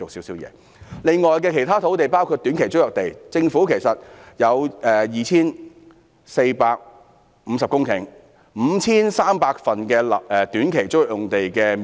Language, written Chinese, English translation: Cantonese, 此外，其他土地包括短期租約地，政府有 2,450 公頃土地、5,300 份短期租約用地的面積。, In addition there are other lands including those available in the form of short - term tenancies . The Government has 2 450 hectares of land on 5 300 short - term tenancies